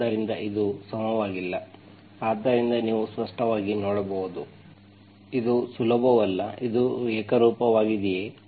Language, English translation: Kannada, So it is not even, so you can clearly see that, it is not easy, is it homogeneous, is it homogeneous